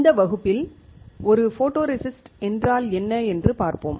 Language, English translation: Tamil, In this class, we will see what a photoresist is